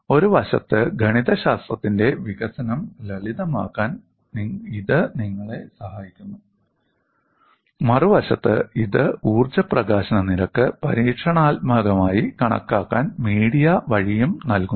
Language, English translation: Malayalam, On the one hand, it helps you to simplify the development of mathematics; on the other hand, it also provides the via media to calculate the energy release rate experimental, so it serves both the purposes